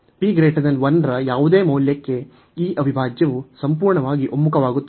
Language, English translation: Kannada, For any value of p greater than 1, this integral converges absolutely